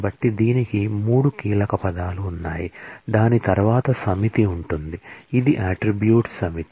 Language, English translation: Telugu, So, it has 3 keywords select which is followed by a set of; this is a set of attributes